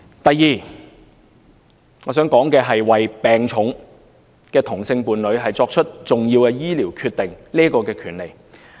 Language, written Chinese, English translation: Cantonese, 第二，為病重的同性伴侶作出重要醫療決定的權利。, Second the right to make important medical decisions on behalf of same - sex partners with serious illness